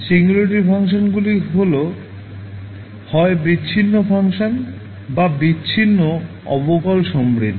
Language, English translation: Bengali, Singularity functions are those functions that are either discontinuous or have discontinuous derivatives